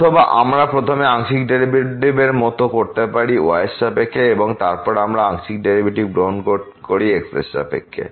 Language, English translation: Bengali, Or we can have like first the partial derivative with respect to and then we take the partial derivative with respect to